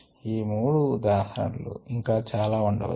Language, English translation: Telugu, these three are examples